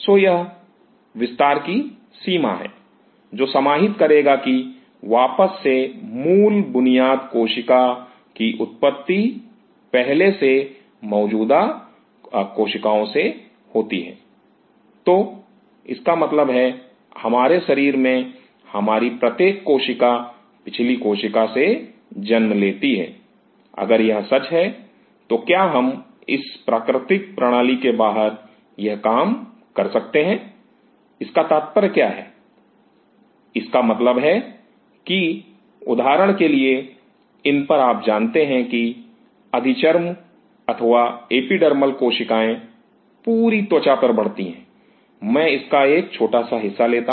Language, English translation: Hindi, This is the range the spectrum; what will be covering coming back to the basic fundamentals cell arises from preexisting cells so; that means, each one each of our cells in our body arises from the previous one, if this is true, then could we do this thing outside the system; what is that mean; that means, say for example, at these you know epidermal cells growing all over the skin I take a small part of it